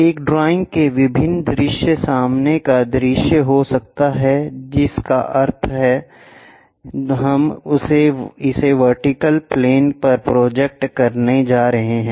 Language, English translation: Hindi, The different views of a drawing can be the front view that means, we are going to project it on to the vertical plane